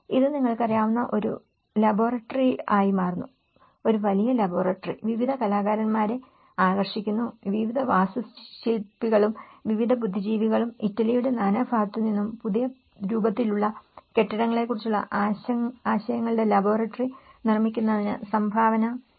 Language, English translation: Malayalam, It becomes a laboratory you know, a big laboratory, attracting various artists, various architects and various intellectuals coming from all over the Italy to contribute to make a laboratory of ideas on new forms of building